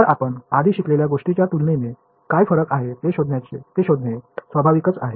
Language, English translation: Marathi, So, naturally we want to find out what are the differences compared to what we already learnt ok